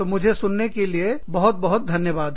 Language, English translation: Hindi, So, thank you very much, for listening to me